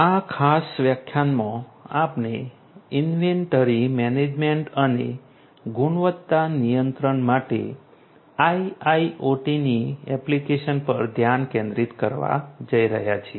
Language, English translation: Gujarati, In this particular lecture, we are going to focus on the Application of IIoT for inventory management and quality control